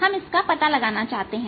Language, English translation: Hindi, we want to find this now